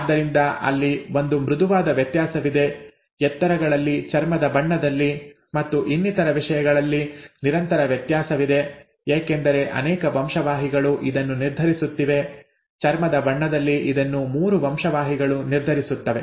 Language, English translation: Kannada, And therefore there is a smooth variation, there is a continuous variation in heights, in skin colour and so on so forth, because multiple genes are determining this, in the case of skin colour it is 3 genes